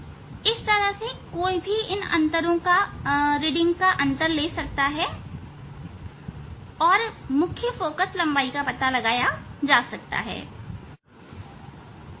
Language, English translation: Hindi, that way one has to take the reading of differences find out the main focal length